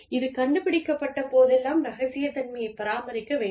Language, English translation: Tamil, And whenever, if and when, this is discovered, confidentiality should be maintained